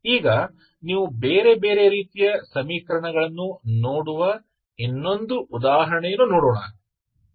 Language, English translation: Kannada, Now will see the other example where you see different other type of equation so will consider one more example